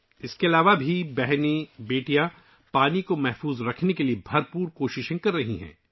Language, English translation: Urdu, Apart from this, sisters and daughters are making allout efforts for water conservation